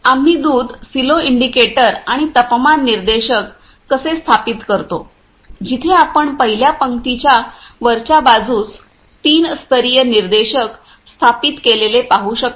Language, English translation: Marathi, How we install the milk silo indicators and temperature indicators, where we can see the in top of the first row three level indicator indicators are installed